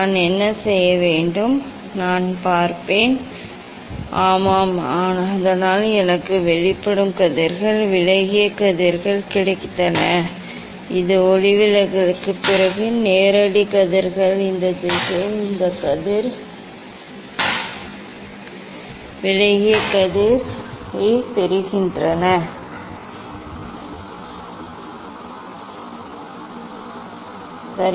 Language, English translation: Tamil, what I will do, I will see the; yes, so I got the emergent rays deviated rays, this is the direct rays after refraction I am getting this ray deviated ray in this direction, ok